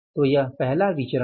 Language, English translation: Hindi, So this is the first variance